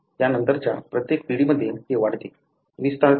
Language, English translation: Marathi, In every subsequent generation it increases, expands